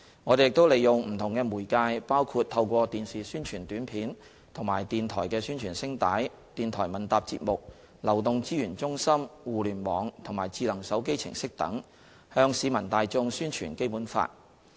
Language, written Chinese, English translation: Cantonese, 我們亦利用不同的媒介，包括透過電視宣傳短片及電台宣傳聲帶、電台問答節目、流動資源中心、互聯網及智能手機程式等，向市民大眾宣傳《基本法》。, We also make use of different media including TV and Radio Announcements of Public Interest radio quiz programmes mobile resource centre Internet and smartphone applications to promote the Basic Law to members of the public